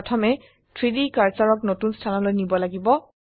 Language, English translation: Assamese, First we need to move the 3D cursor to a new location